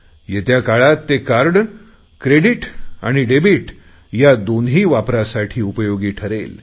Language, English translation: Marathi, In the coming days this card is going to be useful as both a credit and a debit card